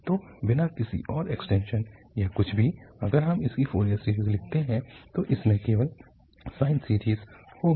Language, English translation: Hindi, So without any further extension or anything if we write down its Fourier series, it will have only the sine series